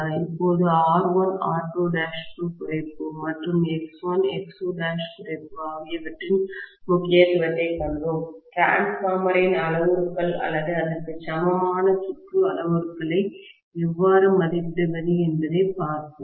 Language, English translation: Tamil, Now that we have seen the importance of R1, R2 dash reduction and X1, X2 dash reduction, let’s try to see how to estimate the parameters or equivalent circuit parameters of the transformer